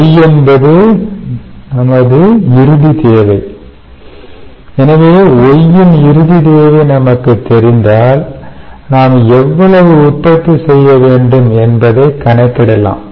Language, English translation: Tamil, so, for a final demand of y, if we know a, we can calculate how much we have to produce